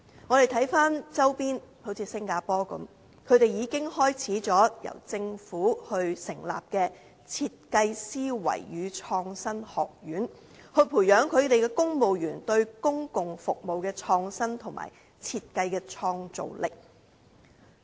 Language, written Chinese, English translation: Cantonese, 參看周邊地區，例如新加坡已開始由政府成立設計思維與創新學院，培養其公務員對公共服務的創新，以及設計的創造力。, If we look at other regions nearby we can realize that say the Singapore Government has set up the Design Thinking and Innovation Academy to nurture innovativeness in public service and creativity in design among its civil servants